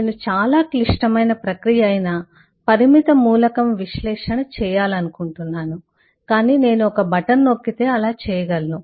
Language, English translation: Telugu, I want to do a finite element analysis, which is a very complex process, but I should be able to do that with the press of a button